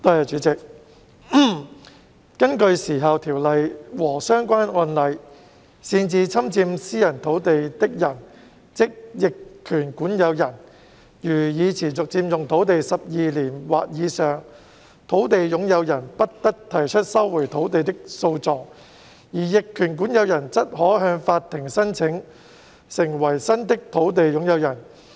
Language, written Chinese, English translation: Cantonese, 主席，根據《時效條例》和相關案例，擅自侵佔私人土地的人如已持續佔用土地12年或以上，土地擁有人不得提出收回土地的訴訟，而逆權管有人則可向法庭申請成為新的土地擁有人。, President under the Limitation Ordinance and relevant case law where a person who encroached on a piece of private land without permission has continuously occupied the land for 12 years or more the landowner may not take legal action to recover the land and the adverse possessor may apply to the court to become the new landowner